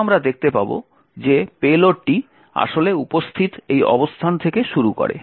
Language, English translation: Bengali, Then we would see that the payload is actually present starting from this location